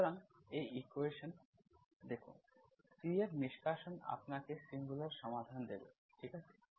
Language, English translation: Bengali, So look at these 2 equations, eliminate C will give you the singular solutions, okay